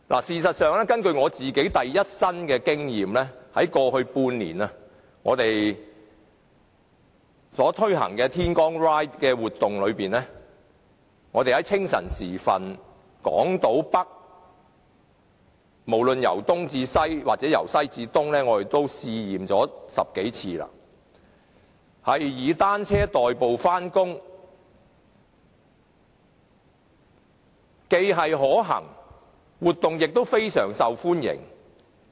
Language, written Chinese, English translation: Cantonese, 事實上，我有第一身的經驗，在過去半年，我們推行的"天光 Ride" 活動，清晨時分在港島北，無論由東至西或由西至東，試了10多次以單車代步，該活動非常受歡迎。, As a matter of fact I have personal experience . In the past six months we have held the Dawn Ride and tried 10 - odd times to commute by bicycles in the early morning in Island North be it from East to West or from West to East . The event received very good responses